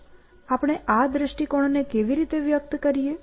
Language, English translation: Gujarati, So, how do we express this view